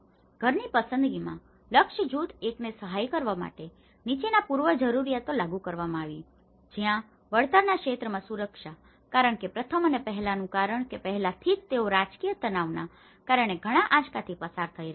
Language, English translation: Gujarati, In the household selection, in assisting target group one, the following prerequisites has been applied where the security in the area of return, because the first and prior most is because already they have been undergoing a lot of shocks because of the political stresses